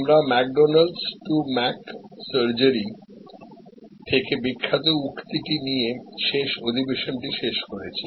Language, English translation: Bengali, We ended last session with the famous saying from McDonald's to Mc